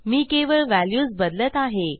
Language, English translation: Marathi, Im going to change these values